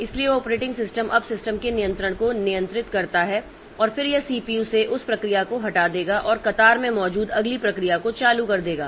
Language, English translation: Hindi, So, the operating system now regains control of the system and then it will remove that process from the CPU and give turn to the next process that is there in the queue